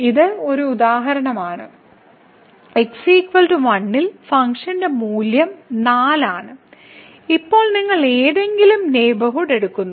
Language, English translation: Malayalam, So, this is a for instance and at x is equal to 1 the value of the function is 4 and now, you take any neighborhood